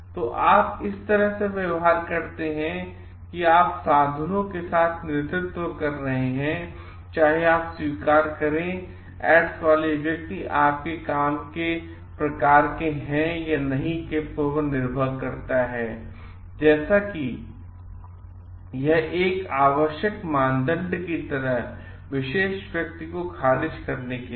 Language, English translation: Hindi, So, what you do in this is like again, you can lead by doing means you can whether you accept the person with having aids for your type of work or not depends on like whether it is an like necessary criteria for performing whichever rejecting the particular person